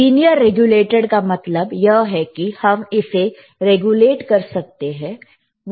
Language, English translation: Hindi, If you see the lLinear regulated means you can regulate it